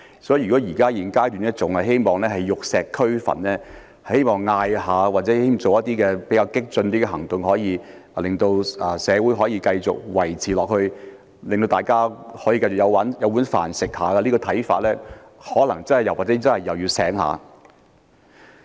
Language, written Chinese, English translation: Cantonese, 所以，如果現階段還希望玉石俱焚、希望透過喊口號或進行一些較激進的行動，便能夠令社會繼續維持、令大家能夠繼續"有飯開"，持這種看法的人可能也是要醒一醒了。, Therefore those who at this stage still seek total destruction or hold out hope of keeping society running and people fed by merely chanting slogans or carrying out some more radical actions may also need to wake up